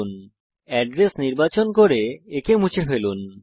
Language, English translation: Bengali, * In the address bar select the address and delete it